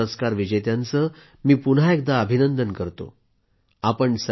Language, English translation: Marathi, Once again, I would like to congratulate all the Padma award recipients